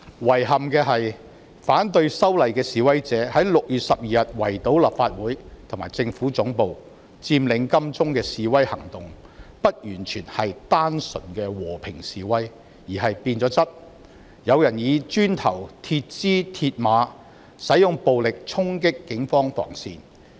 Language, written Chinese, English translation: Cantonese, 遺憾的是，反對修例的示威者6月12日圍堵立法會和政府總部及佔領金鐘不完全是單純的和平示威，而是變了質的示威行動，有人以磚頭、鐵枝和鐵馬，使用暴力衝擊警方防線。, Regrettably the siege of the Legislative Council Complex and the Central Government Offices and the occupation of Admiralty by protesters opposing the legislative amendment on 12 June was not purely a peaceful protest; the nature of the demonstration has changed as people violently charged the police cordon line with bricks metal poles and mills barriers